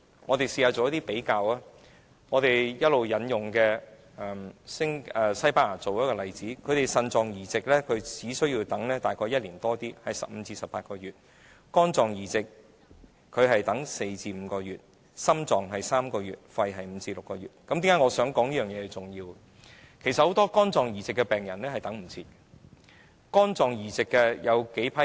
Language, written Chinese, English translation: Cantonese, 我們試試做比較，我們一直引用的西班牙作例子，當地等待腎臟移植的病人只需要輪候15至18個月；等待肝臟移植的病人只需輪候4至5個月；等待心臟移植的病人是輪候3個月；而等待肺部移植的病人輪候時間是5至6個月。, We can make a comparison with Spain which was also mentioned in the previous example . In Spain the patients only need to wait for 15 to 18 months for kidney transplantation four to five months for liver transplantation three months for heart transplantation and five to six months for lung transplantation